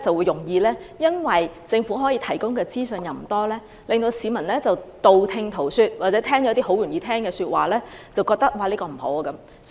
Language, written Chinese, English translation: Cantonese, 由於政府提供的資訊不多，市民容易道聽塗說，接收了較易理解的資訊，認為"明日大嶼"不好。, As the information provided by the Government is scanty the public will easily accept hearsay rumour and accept information that is easier to grasp and hence they will think that Lantau Tomorrow is no good